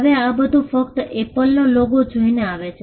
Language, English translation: Gujarati, Now, all this comes by just looking at the apple logo